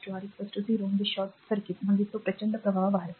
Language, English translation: Marathi, So, R is equal to 0 means it is a short circuit it a huge current will flow